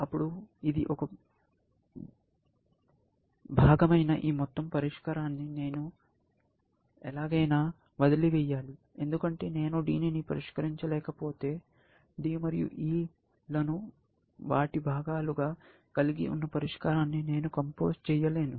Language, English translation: Telugu, Then, I should somehow abandon this whole solution of which, this is a part, because if I cannot solve D, then I cannot compose the solution, which has D and E as their parts